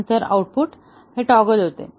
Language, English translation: Marathi, Then, the output toggles